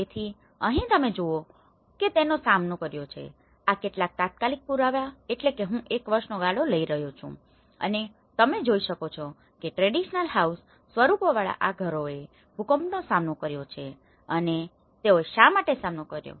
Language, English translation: Gujarati, So, here what you see, these have resisted, these are some of immediate I am talking about within a span of one year, the evidences which you are seeing is that these houses with traditional shelter forms have resisted the earthquakes and why they have resisted because that is where the structural form within